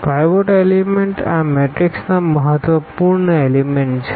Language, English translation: Gujarati, The pivot element are the important elements of this matrix